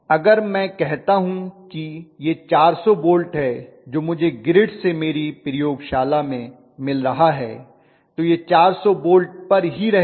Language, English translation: Hindi, They are not going to change, if I say that it is a 400 volts what I am getting in my laboratory from the grid it will be remain enlarge at 400 volts